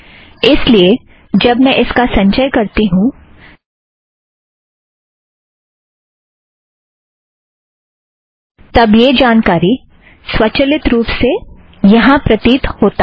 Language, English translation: Hindi, So if I re compile it, now this information comes automatically here